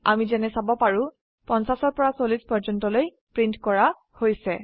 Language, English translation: Assamese, As we can see, the numbers from 50 to 40 are printed